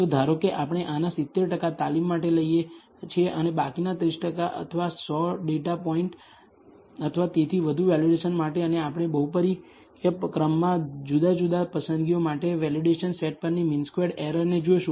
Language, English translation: Gujarati, So, suppose we take 70 percent of this for training and the remaining 30 percent or 100 data points or so for validation and we look at the mean squared error on the validation set for different choices of the polynomial order